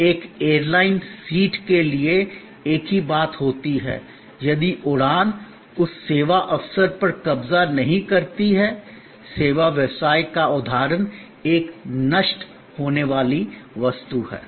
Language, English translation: Hindi, Same thing happens to an airline seat, the flight takes off, if the seat is not occupied that service opportunity; that service business instance becomes a perishable, commodity